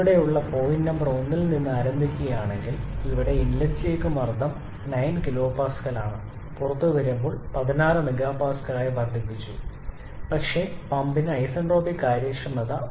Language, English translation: Malayalam, Now look at this if we start from point number 1 which is here, here at the inlet to the pump the pressure is 9 kPa, at the exit it is it has been increased to 16 MPa, but the pump has an isentropic efficiency of 0